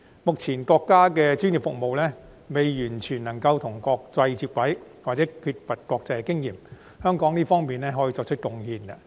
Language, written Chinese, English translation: Cantonese, 目前國家的專業服務尚未能完全與國際接軌，又或缺乏國際經驗，香港在這方面可作出貢獻。, As the country is not yet able to keep its professional services fully on a par with the international standards or is still in lack of international experiences Hong Kong can make contribution in this respect